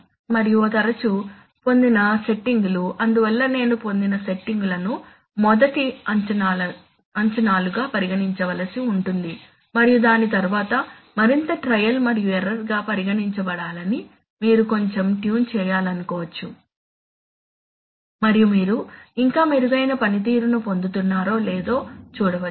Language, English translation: Telugu, And often the settings obtained, so as I have already told that the settings obtained are to be treated as good first estimates and further trial and error after around that you may like to tune little bit and see whether you are getting still better performance than should select those values